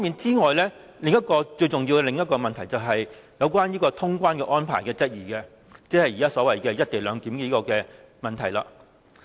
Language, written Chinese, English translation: Cantonese, 此外，最重要的另一個問題，就是質疑通關的安排，即是現時所謂"一地兩檢"的問題。, The other big question was about the clearance arrangement or what we now call the co - location issue